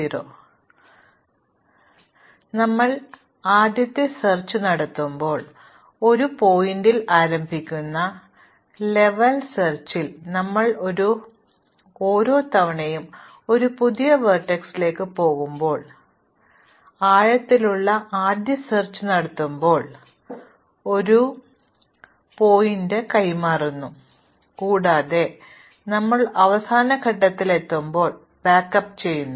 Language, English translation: Malayalam, Now, when we do breadth first search, we do a level by level explorations starting at one vertex, when we do depth first search each time we go to a new vertex, we switch the exploration to that vertex and whenever we reach a dead end we backup